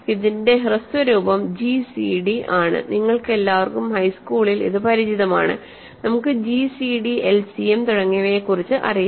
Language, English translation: Malayalam, So, this is short form is gcd that you all are familiar from high school, right we know about gcd, LCM and so on